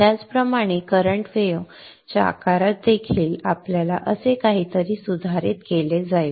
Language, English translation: Marathi, Likewise the current wave shape also will get modified something like this